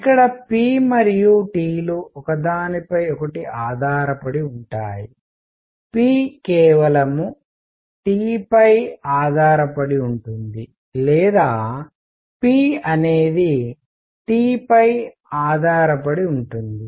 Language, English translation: Telugu, Here p and T are not independent, p depends on T alone or p depends on T